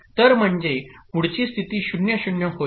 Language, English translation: Marathi, So that is next state becomes 0